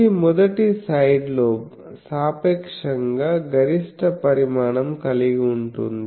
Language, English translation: Telugu, So, this is the a first side lobe relative maximum magnitude for this